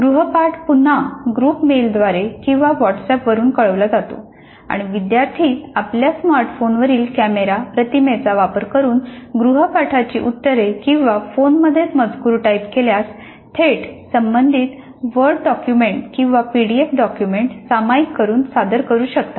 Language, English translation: Marathi, The assignment is communicated through group mails or through WhatsApp again and the students can submit their responses to the assignments using either camera images from their smartphones or if it's a text that is typed in the phone itself directly by sharing the relevant word document or a PDF document